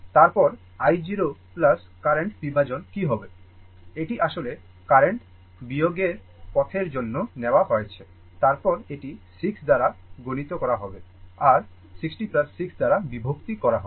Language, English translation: Bengali, Then, we want that what will be i 0 plus current division, then it will be for current division path it is multiplied by 6 divided by 6 plus 60 right